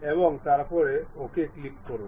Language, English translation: Bengali, Then click ok